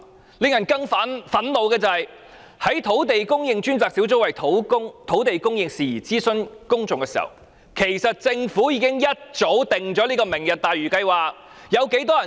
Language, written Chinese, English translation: Cantonese, 更令人憤怒的是，在專責小組為土地供應事宜諮詢公眾期間，政府原來已一早制訂"明日大嶼"計劃。, More infuriatingly still when the Task Force was consulting the public on land supply it turned out that the Government had actually formulated the Lantau Tomorrow project long ago